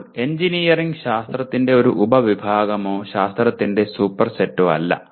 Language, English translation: Malayalam, Now, engineering is not a subset of science nor a superset of science